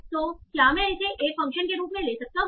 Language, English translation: Hindi, So, can I take it as a function over this, a function over this